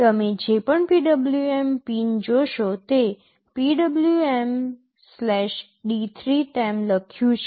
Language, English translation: Gujarati, Whatever PWM pin you will see it is written as PWM/D3